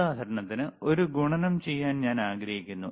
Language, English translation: Malayalam, So, I want to do a multiplication for example